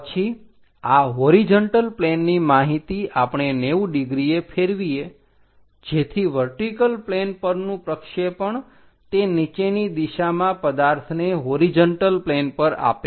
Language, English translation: Gujarati, Then, this horizontal plane information we rotate it 90 degrees, so that a vertical plane projection on to that downward direction which gives us this horizontal plane object we will get